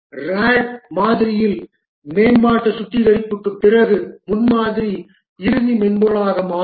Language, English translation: Tamil, In the RAD model the prototype itself is refined to be the actual software